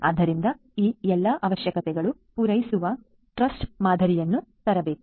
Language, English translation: Kannada, So, we have to come up with a trust model catering to all these requirements